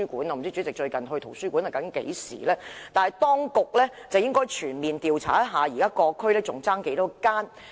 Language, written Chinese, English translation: Cantonese, 我不知道主席最近一次到圖書館是何時，但當局應該全面調查現時各區尚欠多少間圖書館。, President I do not know when was the last time you visited a library but the authorities should conduct a comprehensive survey on the number of library lacking in each district